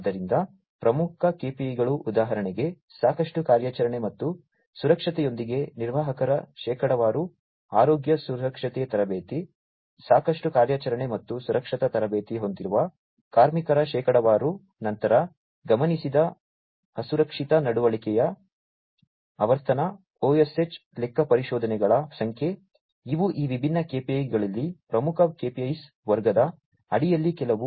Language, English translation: Kannada, So, leading KPIs for example, percentage of managers with adequate operational and safety, health safety training, percentage of workers with adequate operational and safety training, then, frequency of observed unsafe behavior, number of OSH audits, these are some of these different KPIs under the leading KPIs category